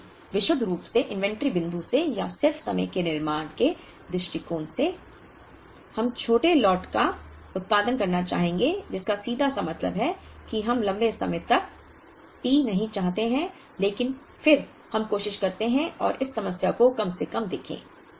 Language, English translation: Hindi, So, from a purely inventory point of view or just in time manufacturing point of view, we would like to have small lot production which simply means that we do not want longer T but then, let us try and look at this problem at least to begin with that how long can we make our cycle